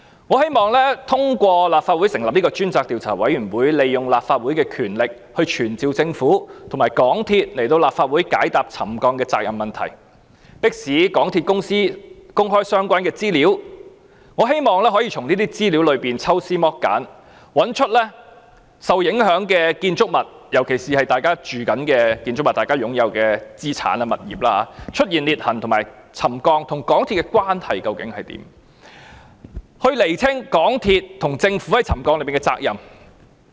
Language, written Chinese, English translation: Cantonese, 我希望通過立法會成立專責委員會，運用立法會的權力傳召政府和港鐵公司高層來立法會解答沉降的責任問題，迫使港鐵公司公開相關資料，我希望可以從這些資料中抽絲剝繭，找出在受影響的建築物，特別是市民正在居住的建築物、市民擁有的資產和物業，出現裂痕和沉降與港鐵公司工程有何關係，以釐清港鐵公司和政府在沉降事件上的責任。, I hope that through a select committee set up by the Legislative Council we can exercise the powers of the Legislative Council to summon the senior personnel of the Hong Kong Government and MTRCL before the Legislative Council to answer questions on the responsibility for ground settlement pressing MTRCL to make public the relevant information . I hope that through analysing and examining the information we can find out how the construction works of MTRCL are related to the occurrence of cracks and settlement in the affected buildings especially those inhabited by members of the public or those that are assets and properties owned by the public in order to ascertain the responsibility of MTRCL and the Government for these settlement incidents